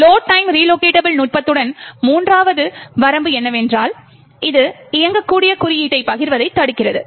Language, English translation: Tamil, The, third limitation of load time relocatable technique is that it prevents sharing of executable code